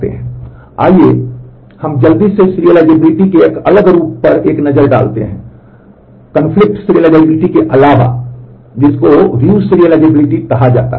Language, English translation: Hindi, Let us quickly take a look at a different form of serializability besides the conflict serializability is called view serializability